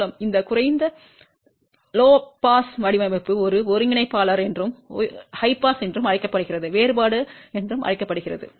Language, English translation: Tamil, By the way, this low pass design is also known as a integrator and high pass is also known as differentiator